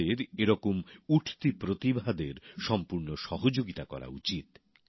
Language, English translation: Bengali, We have to fully help such emerging talents